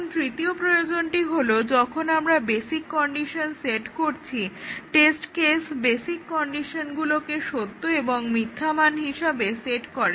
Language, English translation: Bengali, Now, the third requirement is that when we set the basic condition, the test case sets the basic conditions to true and false value